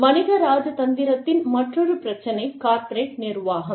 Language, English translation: Tamil, Corporate conduct is another issue, in commercial diplomacy